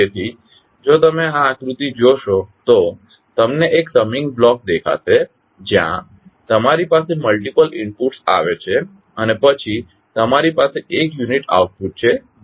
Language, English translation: Gujarati, So, if you see this particular figure you will see one summing block you have where you have multiple inputs coming and then you have one unique output that is Ys